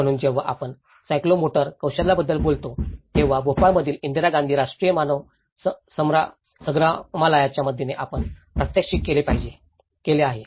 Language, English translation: Marathi, So, when we say about the psychomotor skills, we also have demonstrated by with the help of Indira Gandhi Rashtriya Manav Sangrahalaya in Bhopal